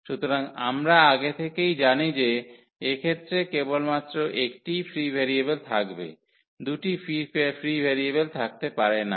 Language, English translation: Bengali, So, we know in advance that there will be only one free variable in this case, there cannot be two free variables